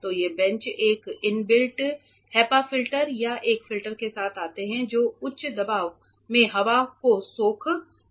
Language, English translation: Hindi, So, these benches also come with an inbuilt HEPA filter or a filter that sucks in air at a high pressure